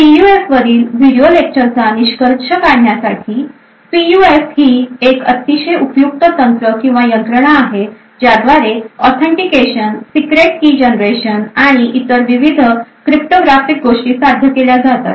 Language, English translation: Marathi, To conclude the video lectures on PUF, PUFs are extremely useful techniques or mechanisms to achieve various cryptographic things like authentication, secret key generation and so on